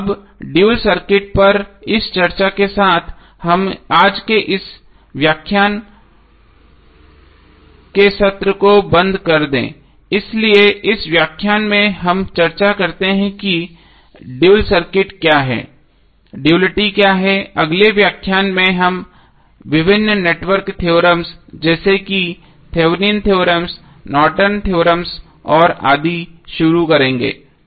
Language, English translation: Hindi, So now with this discussion on the dual circuit let us close the session of todays lecture, so in this lecture we discuss about what is the dual circuit, what is duality, in the next lecture we will start with various network theorems like Thevenin’s theorem, Norton’s theorem and so on, thank you